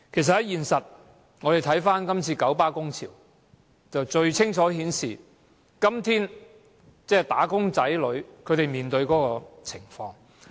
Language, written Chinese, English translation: Cantonese, 事實上，這次九巴工潮最能清楚顯示今天"打工仔女"面對的情況。, As a matter of fact the KMB strike can most clearly illustrate the circumstances faced by the working class nowadays